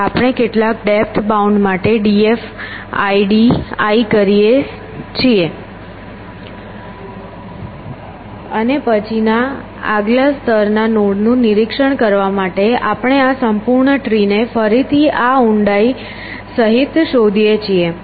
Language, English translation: Gujarati, We do d f d f i at some for some depth bound we come up to here and then to inspect these next level nodes, we search this whole tree again including this for depth